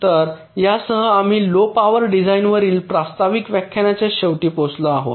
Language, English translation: Marathi, so with this we come to the end of this introductory, introductory lecture on low power design